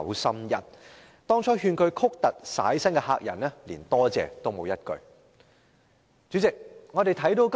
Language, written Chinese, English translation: Cantonese, 對於當初勸他曲突徙薪的客人，他連一句感謝的話也沒有說。, The house owner did not offer a single word of thanks to this guest who advised him to bend the chimney and remove the firewood at the outset